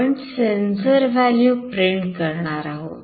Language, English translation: Marathi, We will be printing the sensor value